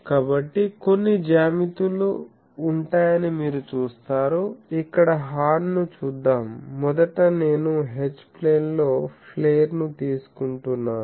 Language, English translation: Telugu, So, you see that there will be some geometries, that let us see the horn here you see that first I am taking a flare in the H plane